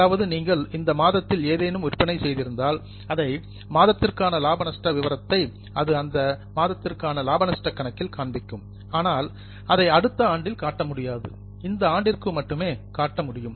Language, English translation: Tamil, So, if you have made any sales in this month and if you make profit and loss for this month, it will come as a profit and loss of this month but it cannot be shown in the next year